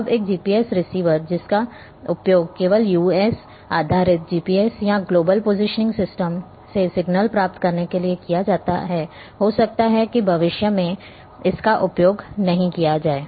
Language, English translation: Hindi, Now, a GPS receiver, which used to receive only signals from US based GPS or global positioning system,is may not be use in future